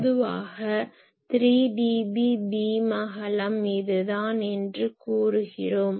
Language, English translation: Tamil, So, generally we say 3 dB beam width will be this